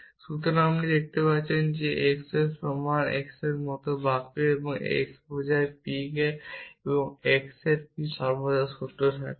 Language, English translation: Bengali, So, we can see sentence like x equal to x or P of x implies p of x will always be true irrespective of what domains be true